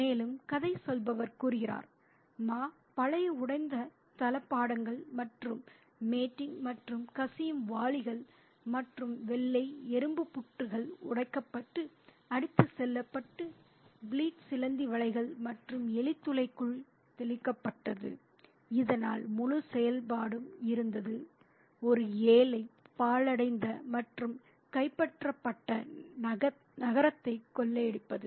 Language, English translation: Tamil, And the narrator says, Ma turned out all the old broken bits of furniture and rolls of matting and leaking buckets and the white ant hills were broken and swept away and flit, sprayed into the spider webs and ran holes so that the whole operation was like the looting of a poor, ruined and conquered city